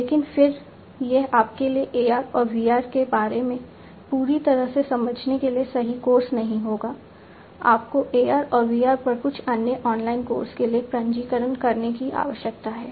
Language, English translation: Hindi, But then again you know this will not be right course for you to get you know the complete understand more about AR and VR, you need to register for some other online course on AR and VR